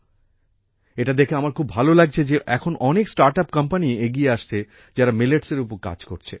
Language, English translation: Bengali, It feels good to see that many such startups are emerging today, which are working on Millets